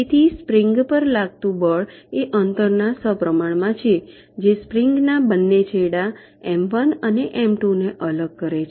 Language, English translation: Gujarati, so the force exerted on the spring is proportional to the distance that separates the two ends of the spring, this m one and m two